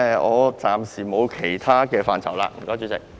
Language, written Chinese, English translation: Cantonese, 我暫時沒有其他意見，多謝主席。, I have no other comments for the time being . Thank you Chairman